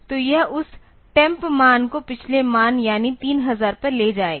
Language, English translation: Hindi, So, this will take that temp value to the previous value to the previous value that is the 3000